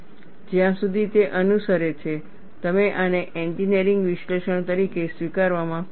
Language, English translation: Gujarati, As long as it follows, you are happy to accept this as an engineering analysis